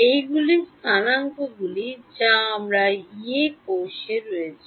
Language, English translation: Bengali, These are the coordinates that are on my Yee cell